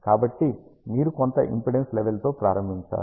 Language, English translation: Telugu, So, you have to start with some impedance level